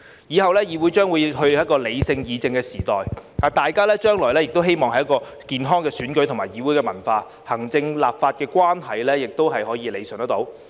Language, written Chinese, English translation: Cantonese, 以後議會將進入理性議政的時代，大家將迎來健康的選舉和議會文化，行政立法關係可得到理順。, In the future the legislature will enter an era of rational political deliberation we will embrace a healthy electoral and legislative culture and the relationship between the executive and the legislature will be rationalized